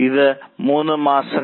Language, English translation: Malayalam, These are the three months